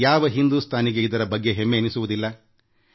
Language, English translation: Kannada, Which Indian wouldn't be proud of this